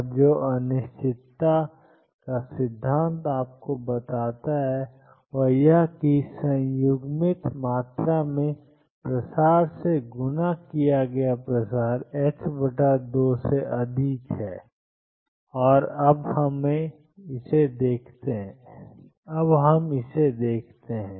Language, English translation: Hindi, And what uncertainty principle tells you is that the spread multiplied by the spread in the conjugate quantity is greater than h cross by 2, and let us now show that